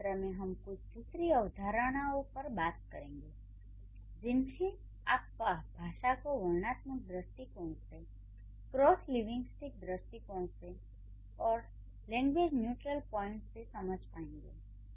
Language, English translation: Hindi, In the next session we are going to move over to some other concepts, how you are trying to understand it from a descriptive point of view, from the cross linguistic point of view, from a language neutral point of view